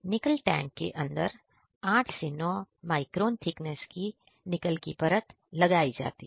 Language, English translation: Hindi, In the Nickel tank, 8 to 9 micron thickness of Nickel layer is deposited on the rim